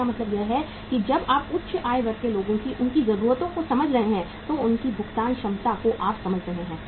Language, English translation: Hindi, It means when you are serving the high income group people their needs you understand, their paying capacity you understand